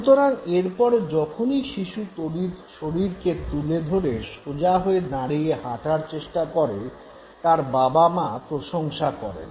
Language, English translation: Bengali, So, every time the baby tries to lift the body and stand direct and try to walk, parents appreciate